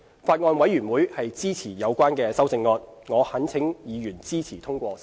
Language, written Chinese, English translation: Cantonese, 法案委員會支持有關的修正案，我懇請委員支持通過修正案。, The Bills Committee agrees to the proposed amendment . I implore Members to support the passage of the Bill